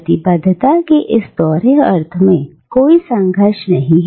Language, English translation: Hindi, There is no conflict in this dual sense of commitment